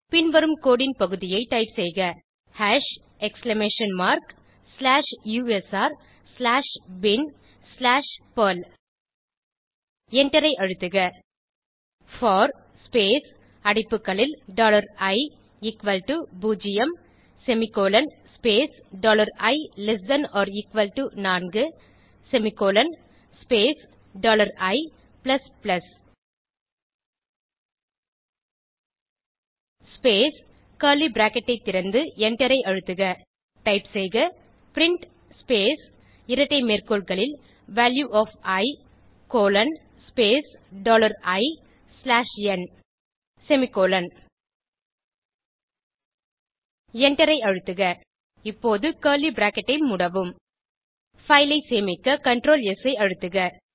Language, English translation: Tamil, Type the following piece of codehash exclamation mark slash u s r slash bin slash perl Press Enter for space open bracket dollar i equals to zero semicolon space dollar i less than or equal to four semicolon space dollar i plus plus close bracket space Open curly bracket press enter typeprint space double quote Value of i colon space dollar i slash n close double quote semicolon And Press Enter now close curly bracket Press Ctrl+S to save the file